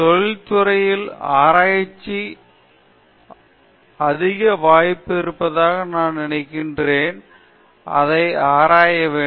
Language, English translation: Tamil, So, I feel that there is high scope for research scholars out there in the industry and we should explore it that